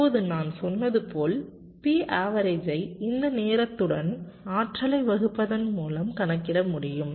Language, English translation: Tamil, now, as i said, p average can be computed by dividing the energy divide with this time t